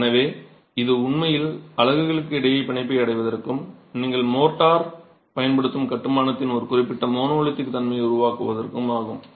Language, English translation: Tamil, So, it is really to achieve bond between the units and to create a certain monolithic behaviour of the construction that you use motor